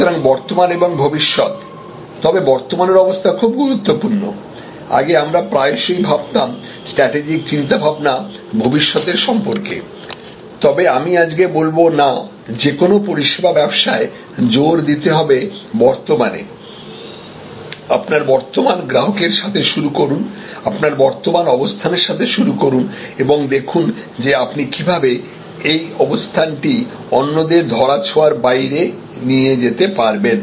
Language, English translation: Bengali, So, the present and the future, but the present is very important earlier we often used to think strategic thinking is about future thinking, but no I would say today emphasis in a service business will be start with your present, start with your current customer, start with your present position and see that how you can make that position unassailable